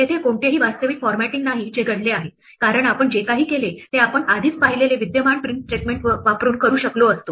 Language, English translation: Marathi, There is no real formatting which has happened because whatever we did with that we could have already done using the existing print statement that we saw